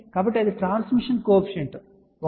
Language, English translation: Telugu, So, that is a transmission coefficient that 1 2